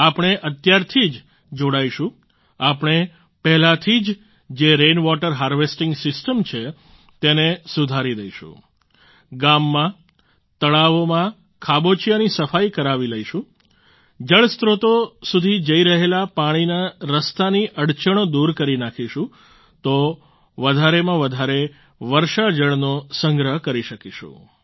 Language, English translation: Gujarati, We shall commit ourselves to the task right now…we shall get existing rain water harvesting systems repaired, clean up lakes and ponds in villages, remove impediments in the way of water flowing into water sources; thus we shall be able to conserve rainwater to the maximum